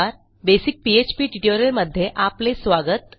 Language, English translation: Marathi, Hi and welcome to a basic PHP tutorial